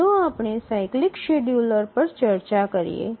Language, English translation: Gujarati, So, let's look at the cyclic scheduler